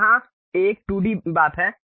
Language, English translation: Hindi, This is a 2D thing